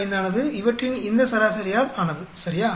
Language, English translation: Tamil, 95 is made up of this average of these, right